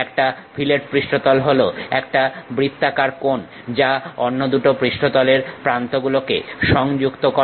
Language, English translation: Bengali, A fillet surface is a rounded corner, connecting the edges of two other surfaces